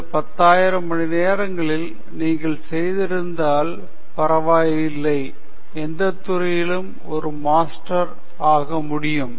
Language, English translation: Tamil, If you put in these 10,000 hours, you can be a master in any field okay